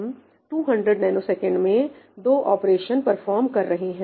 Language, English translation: Hindi, I am performing two operations in 200 ns